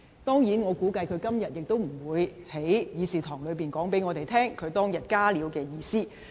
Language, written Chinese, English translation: Cantonese, 當然，我估計他今天也不會在議事堂告訴我們，他當日"加料"的意思。, Of course I surmise that in the Chamber today he will not tell us the meanings of the additions he made that day either